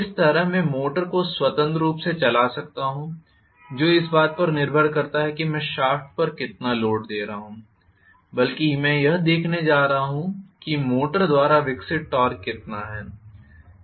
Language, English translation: Hindi, Similarly, I may have the motor freely running depending upon how much of impediment I am putting on the shaft I am going to rather look at how much is the torque developed by the motor